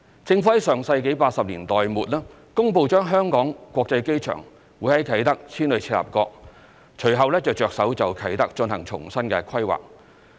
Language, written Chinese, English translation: Cantonese, 政府在上世紀80年代末公布把香港國際機場從啟德遷往赤鱲角，隨後便着手就啟德進行重新規劃。, Immediately after announcing the relocation of the Hong Kong International Airport from Kai Tak to Chek Lap Kok in the late 1980s the Government proceeded with the re - planning for Kai Tak